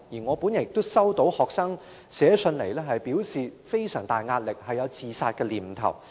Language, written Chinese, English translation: Cantonese, 我也收到學生來信表示非常大壓力，並有自殺念頭。, I had also received letters from students who told me they were under tremendous pressure and had suicidal thoughts